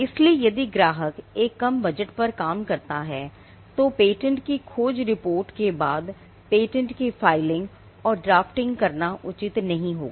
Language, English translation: Hindi, So, if the client operates on a tight budget, then it would not be advisable to go in for patentability search report followed by the filing and drafting of a patent itself